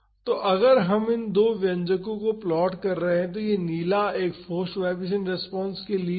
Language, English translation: Hindi, So, if we are plotting these two expressions, this blue one is for the forced vibration response